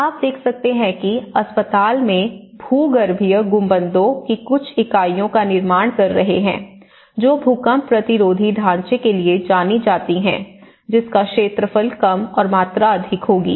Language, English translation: Hindi, And similarly, in the hospital what you can see is that they are building some units of the geodesic domes which has known for its earthquake resistant structure and which will have less area and more volume